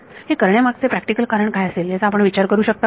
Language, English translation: Marathi, Can you think of a practical reason for doing this